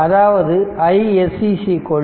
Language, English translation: Tamil, So, that is i s c